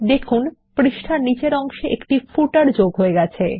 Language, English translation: Bengali, We see that a footer is added at the bottom of the page